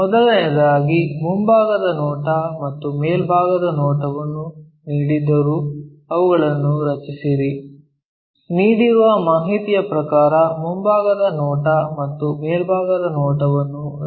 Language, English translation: Kannada, First of all, whatever the front view and top view is given draw them, draw front view and top view as per the given information